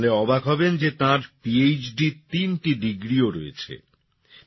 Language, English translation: Bengali, You will be surprised to know that he also has three PhD degrees